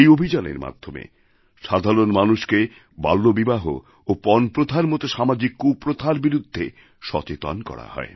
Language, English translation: Bengali, This campaign made people aware of social maladies such as childmarriage and the dowry system